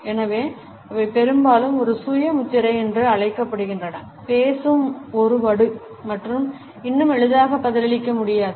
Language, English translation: Tamil, And therefore, they are often termed as a self branding, a scar that speak and yet cannot be replied to easily